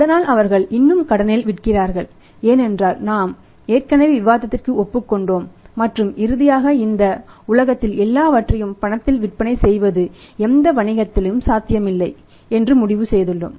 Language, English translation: Tamil, So, but still they sell on the credit because we have already concluded agreed upon the discussion and finally we have concluded that selling everything on the cash is not possible in any business world